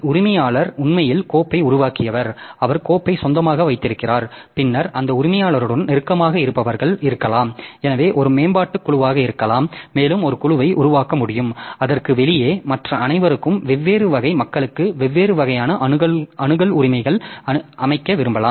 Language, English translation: Tamil, So, owner actually who created the file and he owns the file and then the people who are close to that owner may be so they may be a development team and also they may be able to they form a group and outside that all other so they are the public